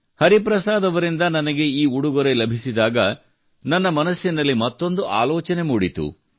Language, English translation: Kannada, When I received this gift sent by Hariprasad Garu, another thought came to my mind